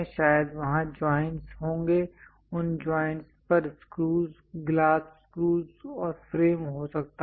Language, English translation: Hindi, Perhaps there will be joints those joints might be having screws glass screws and frame